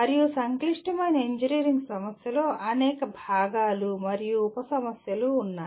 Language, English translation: Telugu, And also a complex engineering problem has several component parts and several sub problems